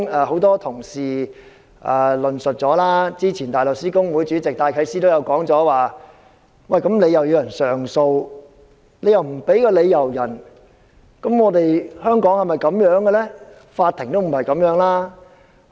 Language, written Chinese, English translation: Cantonese, 很多同事已論述這點，早前香港大律師公會主席戴啟思亦曾指出，既然當事人可以上訴，為何不向他提供理由？, Many colleagues have already discussed this point . Philip DYKES Chairman of the Hong Kong Bar Association has also queried why the reason was not provided given that the person in question could appeal